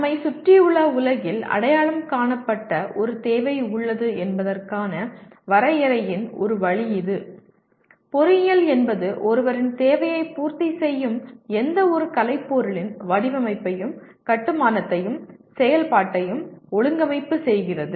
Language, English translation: Tamil, This is one way of definition that there is a need that is identified in the physical world around us and engineering is organizing the design and construction and operation of any artifice that meets the requirement of somebody